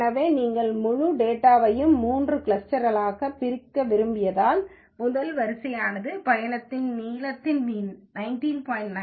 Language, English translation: Tamil, So because you wanted to divide the whole data into three clusters, the first row is the cluster 1 information where the mean of the trip length is 19